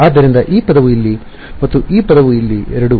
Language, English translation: Kannada, So, this term over here and this term over here these are both